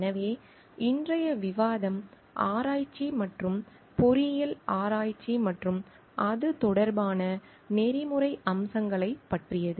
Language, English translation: Tamil, So, today's discussion is about research and engineering research and ethical aspects related to it